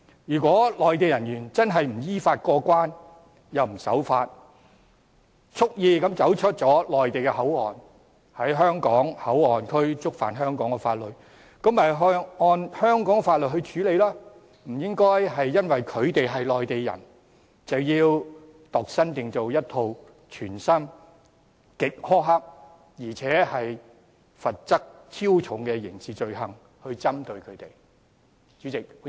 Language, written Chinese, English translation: Cantonese, 如果內地人員真的不依法過關又不守法，蓄意離開內地口岸區並在香港口岸區觸犯香港法律，便應按香港法律處理，不應因他們是內地人而度身訂造一套全新、極苛刻，而且罰則超重的刑事罪行條文來針對他們。, If Mainland personnel really go through clearance unlawfully and break the law deliberately leaving MPA and contravening the laws of Hong Kong in the Hong Kong Port Area they should be dealt with in accordance with the laws of Hong Kong instead of being specifically treated with a brand new set of draconian criminal offence provisions tailored made with excessive penalties for the reason that they are Mainlanders